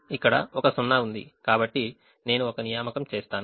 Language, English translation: Telugu, there is one zero here, so i will make an assignment